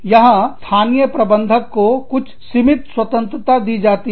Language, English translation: Hindi, Here, very limited freedom is given, to the local managers